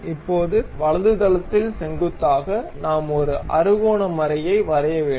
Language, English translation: Tamil, Now, on the right plane normal to that we want to have a hexagonal nut